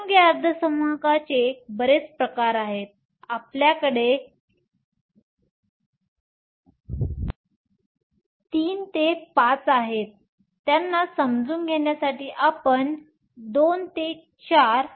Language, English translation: Marathi, There are lots of different types of compound semiconductors; you have III V, you II VI to understand them